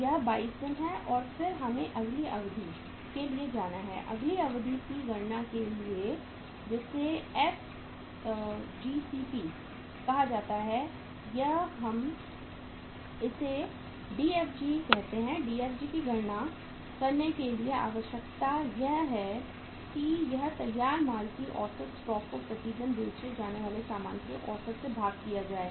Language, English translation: Hindi, This is 22 days and then we have to go for the next duration, for calculation of the next duration, which is called as FGCP or we call it as Dfg and Dfg here is that is the requirement of Dfg is how to calculate it average stock of finished goods divided by the average cost of goods sold per day